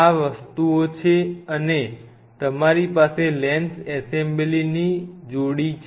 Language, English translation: Gujarati, These are the things and you have couple of assembly of lens